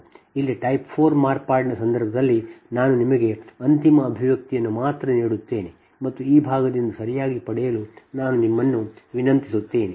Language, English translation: Kannada, and in that case, of type four modification here i will only give you the final expression and i will request you to derive this part, right